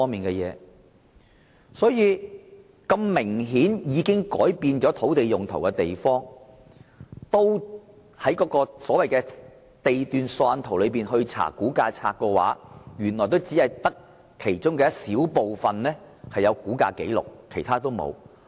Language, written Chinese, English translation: Cantonese, 即使是明顯已改變土地用途的地段，但按照地段索引圖再翻查估價冊，也只有很小部分有估價紀錄，其他一概沒有。, Even for land lots where the use has obviously been changed only very few of them have rating records in the Valuation List after checking with the Lot Index Plan and no information is available for the rest of the lots